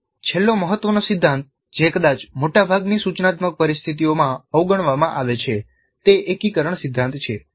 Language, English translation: Gujarati, Then the last important principle which probably is ignored in most of the instructional situations is integration from principle